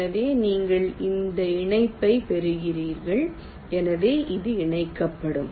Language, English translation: Tamil, so you get this connection